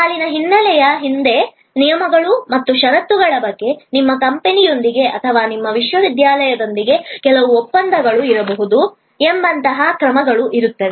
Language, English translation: Kannada, Behind the line background, there will be actions like there will be some agreement maybe with your company or with your university about the terms and conditions